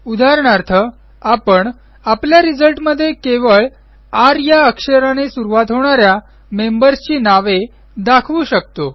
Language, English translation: Marathi, For example, we can limit the result set to only those members, whose name starts with the alphabet R